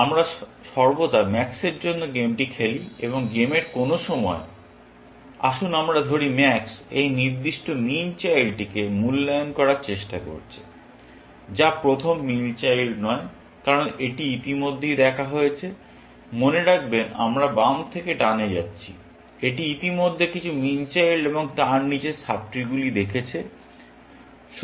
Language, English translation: Bengali, We always play the game for max, and at some point of the game, Let us say max is trying to evaluate this particular min child, which is not the first min child, because it has already seen; remember, that we are going from left to right; it has already seen some min children, and the sub trees below that